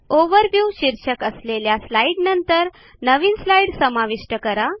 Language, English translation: Marathi, Insert a new slide after the slide titled Overview